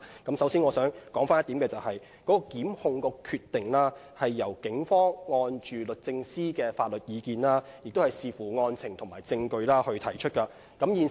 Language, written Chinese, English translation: Cantonese, 我首先想指出一點，提出檢控的決定，是由警方根據律政司的法律意見，並且視乎案情和證據而提出的。, First I wish to point out that the decision to initiate prosecution is made by the Police based on legal advice from the Department of Justice and the circumstances of individual cases and the evidence available